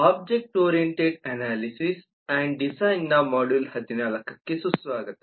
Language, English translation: Kannada, welcome to module 14 of object oriented analysis and design